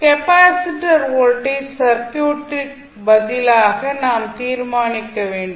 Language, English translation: Tamil, We have to select the capacitor voltage as a circuit response which we have to determine